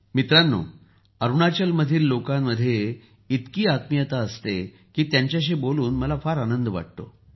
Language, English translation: Marathi, Friends, the people of Arunachal are so full of warmth that I enjoy talking to them